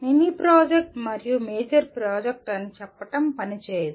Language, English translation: Telugu, Just saying mini project and major project does not work out